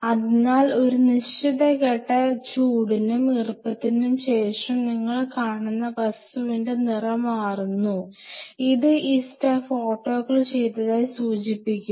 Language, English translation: Malayalam, So, there is a spot you will see after a certain point of heat and moisture the color of that thing changes, which indicates that this stuff has been autoclaved